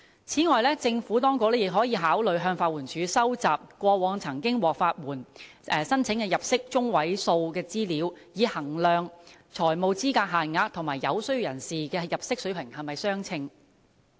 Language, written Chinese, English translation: Cantonese, 此外，政府當局也可考慮向法援署收集過往曾經獲批法援申請的人士的入息中位數資料，以衡量財務資格限額和有需要人士的入息水平是否相稱。, Moreover the Administration may also consider gathering information from LAD regarding the median incomes of those applicants who have been granted legal aid in the past to gauge whether the financial eligibility limits are commensurate with the incomes of those in need